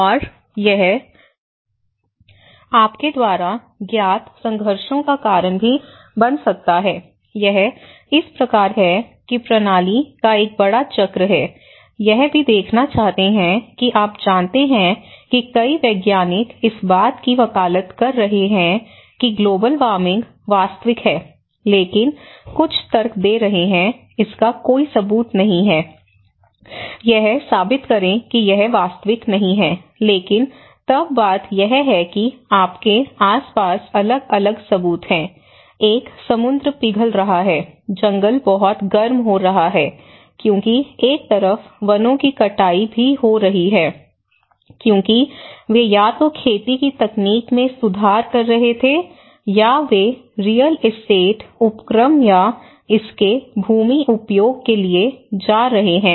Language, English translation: Hindi, And it also can cause conflicts you know so, this is how a big cycle of system is there, also want to see that you know many scientists have been advocating that global warming is real, but some have been arguing, there is no evidence to prove it that it is not real, but then the thing is you have different evidences, one is the sea is melting, the forest is becoming too hot because, on one side the deforestation is also happening, because they were either improving the farming techniques or they are going for the real estate ventures or the land use aspects of it